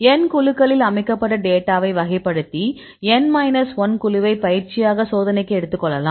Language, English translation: Tamil, In this case, we classify the data set in the N groups and take the N minus 1 group as the training and the left out for the test